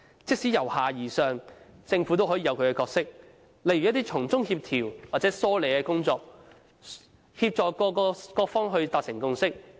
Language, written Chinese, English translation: Cantonese, 即使奉行由下而上的模式，政府也有其角色，例如從中做一些協調或梳理的工作，協助各方達成共識。, Even if the bottom - up approach must be adopted the Government still has a role to play such as coordinating or streamlining the procedures and helping all parties concerned to reach a consensus